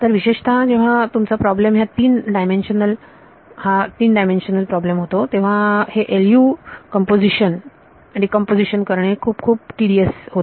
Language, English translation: Marathi, So, typically when your problem becomes a 3 dimensional problem, doing this LU decomposition itself becomes very tedious